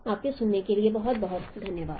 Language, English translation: Hindi, Thank you very much for your listening